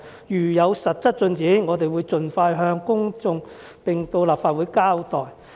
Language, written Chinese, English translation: Cantonese, 如有實質進展，我們會盡快向公眾並到立法會交代"。, Once concrete progress is made we will make it known to the public and report to the Legislative Council